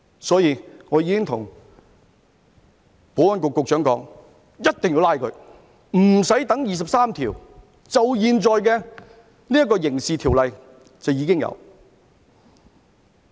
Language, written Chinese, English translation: Cantonese, 所以，我已經對保安局局長說，一定要拘捕他們，不用等第二十三條立法，現在就有《刑事罪行條例》。, So I have already said to the Secretary for Security that they must arrest these people and do not need to wait for the legislation on Article 23 . They should arrest them using the Crimes Ordinance . President I have not digressed